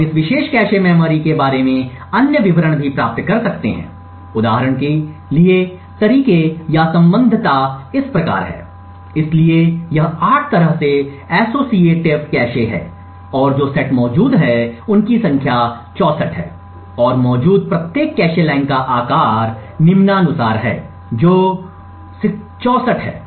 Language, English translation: Hindi, We can also obtain other details about this particular cache memory for example the ways or associativity is as follow so this is 8 way associative cache and the number of sets that are present is 64 and the size of each cache line that is present is as follows, is also 64